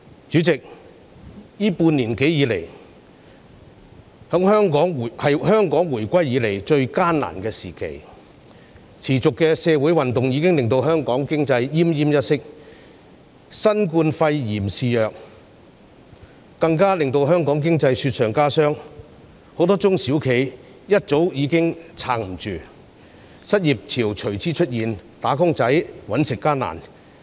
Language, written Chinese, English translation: Cantonese, 主席，這半年多以來，是香港自回歸後最艱難的時期，持續的社會運動已經令香港經濟奄奄一息；新冠肺炎肆虐，更令香港經濟雪上加霜，很多中小企業早已撐不住，失業潮隨之出現，"打工仔""搵食"艱難。, Owing to the continuous social movements the Hong Kong economy was already in a moribund state . The rampant spread of novel coronavirus pneumonia further rubbed salt into the wound . Many medium and small enterprises had long been unable to pull through